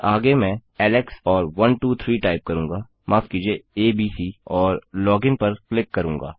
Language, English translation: Hindi, Next Ill type Alex and 123, sorry abc and click log in